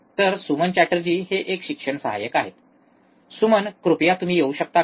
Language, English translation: Marathi, So, Suman Chatterjee he is a teaching assistance, Suman, please can you please come